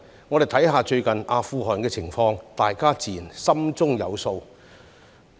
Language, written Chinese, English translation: Cantonese, 我們看看最近阿富汗的情況，大家自然心中有數。, When we take a look at the recent situation in Afghanistan we will know the answer